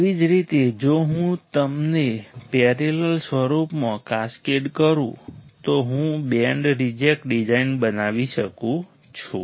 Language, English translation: Gujarati, Same way if I cascade them in a parallel form, I can form the band reject design